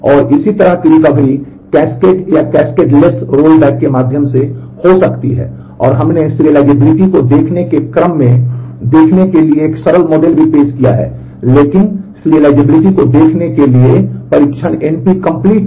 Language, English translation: Hindi, And this such a recovery can be through cascaded or cascadeless rollback and, we have also introduced a simpler model of serializability in terms of the view serializable, but testing for view serializability is np complete